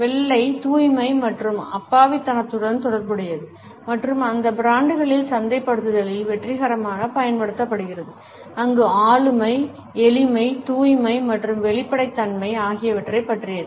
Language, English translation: Tamil, White is associated with purity and innocence and has been successfully used in marketing of those brands where the personality is about simplicity, purity and transparency